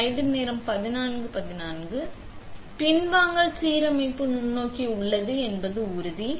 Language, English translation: Tamil, Now, we make sure this thing says backside alignment microscope is on